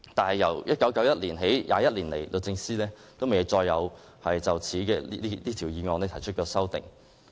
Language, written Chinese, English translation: Cantonese, 然而，由1991年起，律政司沒有再就此議案提出修訂。, However no resolution has been proposed by DoJ to amend the sum since 1991 due to various reasons